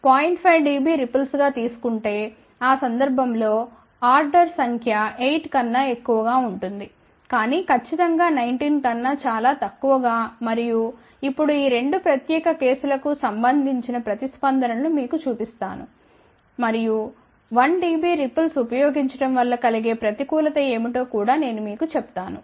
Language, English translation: Telugu, 5 dB ripple in that case number of order will be more than 8, but definitely much lesser than 19 and also now show you the responses for these two particular cases and I am will also tell you what is the disadvantage of using 1 dB ripple